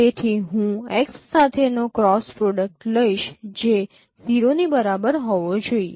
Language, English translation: Gujarati, So if I take the cross product with x that should be equal to 0